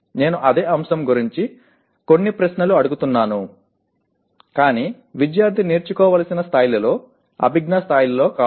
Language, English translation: Telugu, I ask some questions about the same topic but not at the level, cognitive level that a student is required to learn